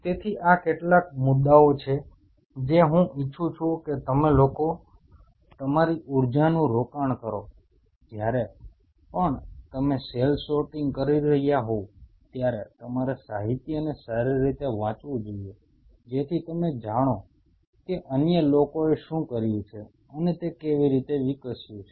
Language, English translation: Gujarati, So, these are some of the points what I wish that you people should invest your energy whenever you are doing cell sorting you should read the literature thoroughly that you know how things have developed what others have done